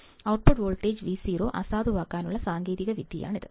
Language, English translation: Malayalam, This is the technique to null the output voltage Vo